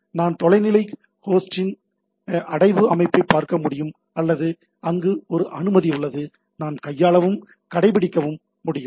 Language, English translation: Tamil, I can go to the directory structure of the remote host or there if there is a permission is there, I can manipulate